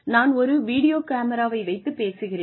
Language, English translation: Tamil, I am just talking to a video camera